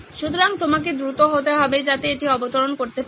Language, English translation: Bengali, So you need to be fast so that it can land